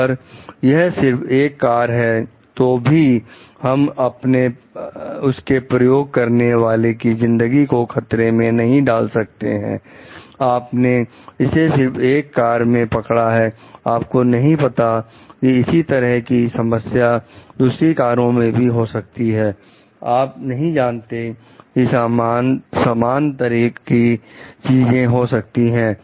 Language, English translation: Hindi, So, even if it is one car we cannot risk the life of the user for it, you have noted in one car you do not know like whether the same thing has happened in other cars, you do not know like whether the same thing is about to happen